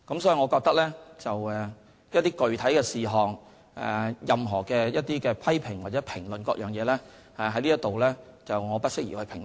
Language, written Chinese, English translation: Cantonese, 所以，我覺得，對於某些具體事項，以及任何批評或評論，我在此不適宜評論。, Therefore I do not think that it is appropriate for me to make any criticisms or comments regarding any specific issues